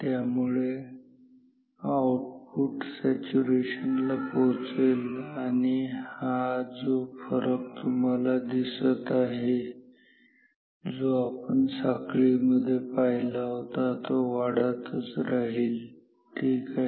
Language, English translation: Marathi, So, output will go to saturation and you see this gap as we said in the chain reaction continue to increase ok